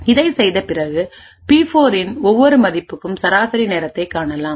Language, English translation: Tamil, After we do this we find the average time for each value of P4